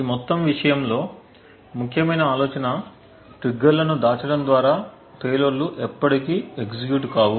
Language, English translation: Telugu, Essential idea in this entire thing is a way to hide the triggers so that the payloads never execute